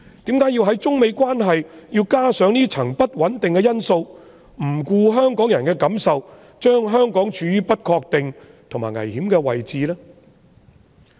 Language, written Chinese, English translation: Cantonese, 為何要在中美關係上增添這項不穩定因素，不顧香港人的感受，把香港處於不確定和危險的位置呢？, Why should they add this unstable factor to the China - United States relations paying no regard to the feelings of Hongkongers and putting Hong Kong in such an uncertain and dangerous position?